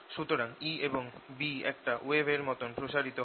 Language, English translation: Bengali, so a and b propagate like a wave